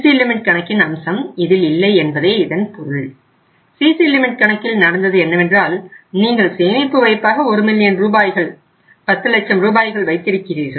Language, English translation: Tamil, In the CC limit what happens that you have safe deposit of 1 million rupees, 10 lakh rupees